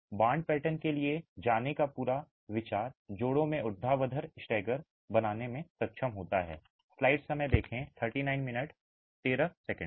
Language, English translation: Hindi, So, the whole idea of going in for bond patterns is to be able to create vertical stagger across the joints